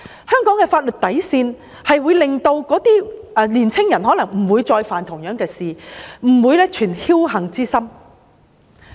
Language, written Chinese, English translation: Cantonese, 香港的法律底線，可能會令青年人不再犯同樣的事，不會存僥幸之心。, If young people are aware of this bottom line they may be discouraged from committing the same crimes again and they will not count on luck any more